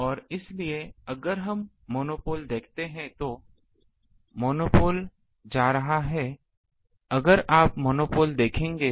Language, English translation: Hindi, And so, if we see the monopole um the monopole ah going to if na you will see the monopoles ah thing